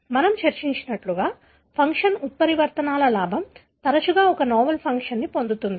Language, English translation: Telugu, So, as we have discussed, the gain of function mutations often results in gain of a novel function